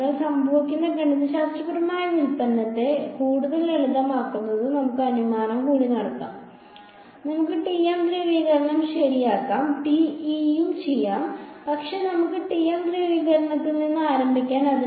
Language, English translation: Malayalam, So, to further you know simplify the mathematical derivation that happens let us make one more assumption, let us say that let us deal with the TM polarization ok, TE can also be done, but let us start with TM polarization